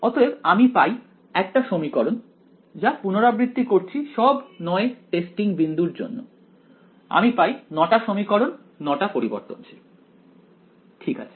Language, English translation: Bengali, So, I get 1 equation repeated for all 9 testing points I get 9 equations 9 variables ok